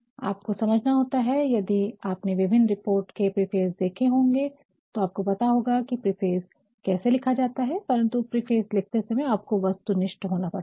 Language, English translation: Hindi, So, one has to understand if you have a look at the preface of several reports you willah come to know how preface is written, but while writing the preface you have to be very objective